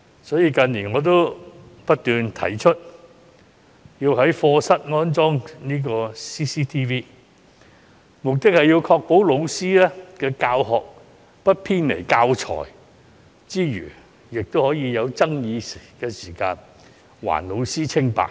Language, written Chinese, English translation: Cantonese, 所以，我近年不斷提出要在課室安裝 CCTV， 目的是要確保老師的教學不偏離教材之餘，在有爭議時更可以還老師清白。, Thus in recent years I have been advocating the installation of CCTVs in classrooms to ensure that teachers will not deviate from the teaching materials and to prove their innocence in case of disputes